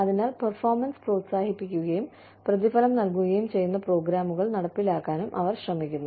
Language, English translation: Malayalam, So, they are also trying to implement programs, that encourage and reward performance